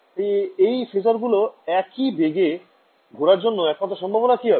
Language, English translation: Bengali, So, what is the only possibility for these phasors to rotate at the same speed in some sense